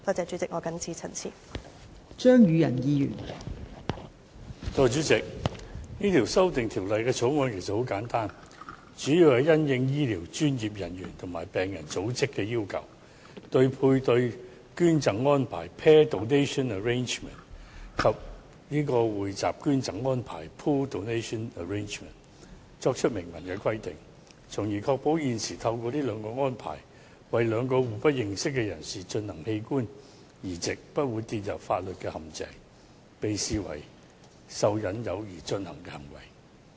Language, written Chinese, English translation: Cantonese, 代理主席，這項《2018年人體器官移植條例草案》很簡單，主要是應醫療專業人員和病人組織的要求，針對配對捐贈安排及匯集捐贈安排作出明文規定，從而確保現時透過這兩項安排，為兩名互不認識人士進行的器官移植不會跌入法律陷阱，被視為受"引誘"而進行的行為。, Deputy President the Human Organ Transplant Amendment Bill 2018 the Bill is very simple it seeks to expressly provide for paired donation arrangement and pooled donation arrangement in response to requests of health care professionals and patient groups so as to ensure organ transplants between two living non - related persons to avoid the legal pitfall of an offer of inducement